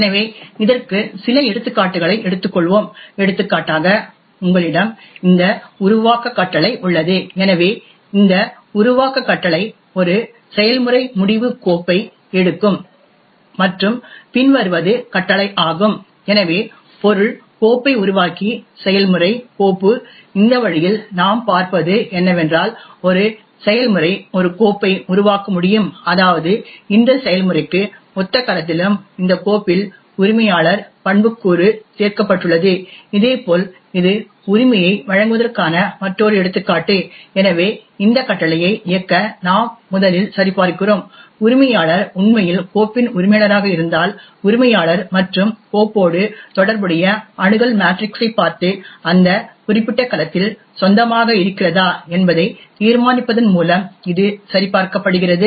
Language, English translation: Tamil, So we will take a few examples of this, for example you have this create command, so this create command takes a process end file and the command is as follows, so create object file and enter own into process, file, in this way what we see is that a process can create a file which would mean that in the cell corresponding to this process and this file the ownership attribute is added on, similarly this is another example of confer right, so in order to run this command we first check if the owner is in fact the owner of the file, this is checked by looking into the Access Matrix corresponding to owner and file and determining whether own is present in that particular cell